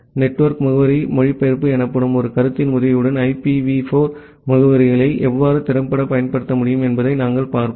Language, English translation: Tamil, And we will also look into that how you can effectively utilize IPv4 addresses with the help of a concept called network address translation